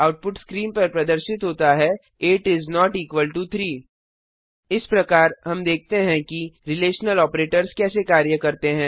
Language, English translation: Hindi, The output is displayed on the screen: 8 is not equal to 3 So, we see how the relational operaotors work